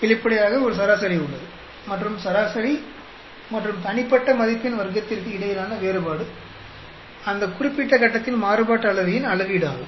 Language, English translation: Tamil, Obviously, there is an average, and the difference between the average and individual value square is a measure of variance of that particular box